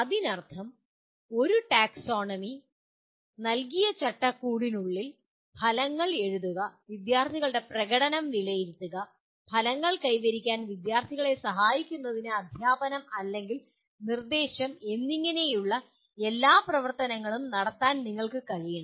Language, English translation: Malayalam, That means within the framework provided by one taxonomy we should be able to perform all the activities namely writing outcomes, assessing the student performance and teaching or instruction to facilitate the students to achieve the outcomes